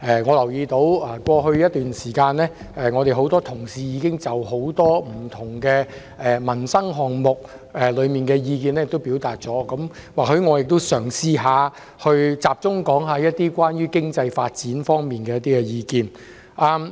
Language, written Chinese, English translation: Cantonese, 我留意到過去一段時間，多位議員同事已就多個不同民生項目表達意見，我嘗試集中討論經濟發展方面的意見。, I have noticed that for some time in the past many colleagues have expressed their views on various livelihood issues . I will try to focus my views on economic development